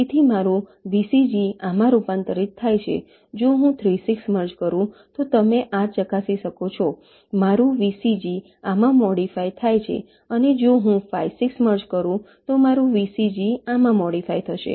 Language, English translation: Gujarati, if i merge three, six you can verify these my vcg gets modify to this, and if i merge five, six, my v c g gets modify to this